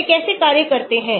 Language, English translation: Hindi, how does they act